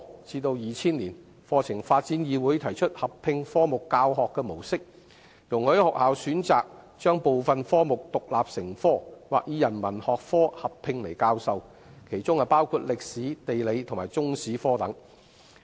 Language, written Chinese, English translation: Cantonese, 至2000年，課程發展議會提出合併科目的教學模式，容許學校選擇將部分科目獨立成科，或以人文學科合併來教授，其中包括歷史、地理和中史科等。, Subsequently in 2000 the Curriculum Development Council proposed to adopt the teaching mode of subject integration and allowed schools to teach some subjects including History Geography and Chinese History as an independent subject or a combined humanities subject